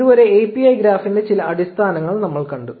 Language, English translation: Malayalam, So, until, now we have seen some basics of the graph API